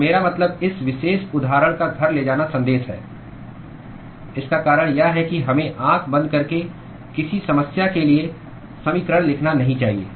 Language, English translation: Hindi, So I mean the take home message of this particular example the reason why I showed this is we should not blindly just go and write equations for a given problem